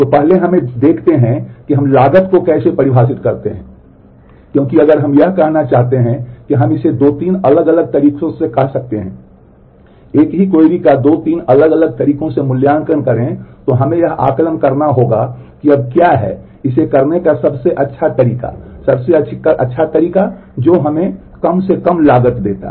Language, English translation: Hindi, So, first let us see how we define the cost because if we want to say that we can do it you say in 2 3 different ways, evaluate the same query in 2 3 different ways then we must assess as to what is the best way of doing it the best way is whatever gives us the least cost